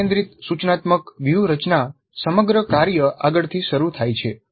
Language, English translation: Gujarati, The task centered instructional strategy starts with the whole task upfront